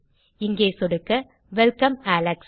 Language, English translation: Tamil, Click here and Welcome, alex.